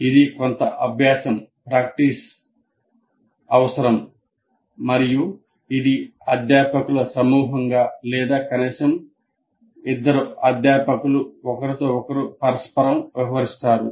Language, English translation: Telugu, You have to trial and error and these are best done as a group of faculty or at least two faculty interacting with each other